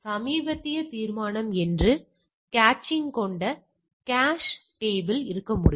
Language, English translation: Tamil, There can be a cache table with caching that what are the recent resolution